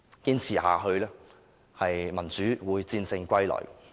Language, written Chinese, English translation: Cantonese, 堅持下去的話，民主會戰勝歸來。, With such persistence democracy shall win and come to us